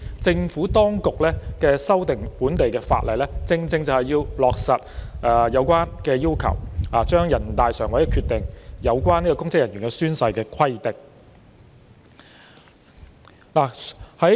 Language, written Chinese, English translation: Cantonese, 政府當局這次修訂本地法例，正是為了落實全國人大常委會的決定中有關公職人員宣誓的規定。, The purpose of the Administrations present amendment of the local legislation is precisely to implement the oath - taking requirements for public officers in NPCSCs decisions